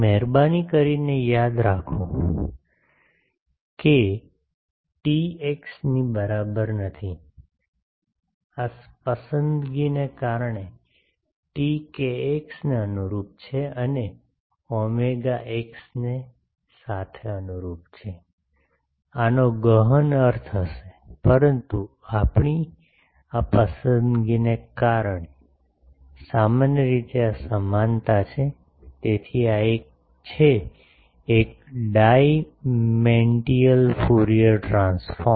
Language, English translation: Gujarati, Please remember that t is not equivalent to x, because of this choice, t is corresponding to kx and omega is corresponding to x, this will have profound implication, but because of our this choice, generally this is the equivalence ok, so this is a one dimensional Fourier transform